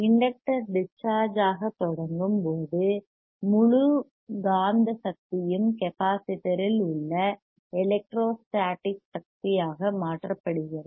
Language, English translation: Tamil, So, when the inductor starts discharging the entire magnetic energy would be again converted back to the electro static energy; entire magnetic energy will be converted back to the electro static energy